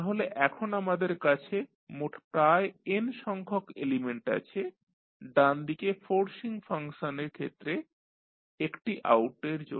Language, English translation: Bengali, So, we have now around total n element for one as the out as the forcing function on the right side